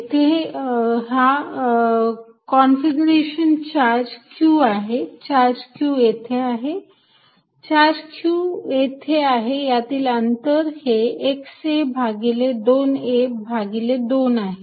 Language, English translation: Marathi, I have this configuration charge Q here, charge Q here, charge q here at a distance x a by 2 a by 2